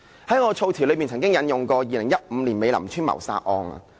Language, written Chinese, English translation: Cantonese, 在我發言中，曾經引用過2015年美林邨謀殺案。, In my previous speech I discussed the murder case in Mei Lam Estate in 2015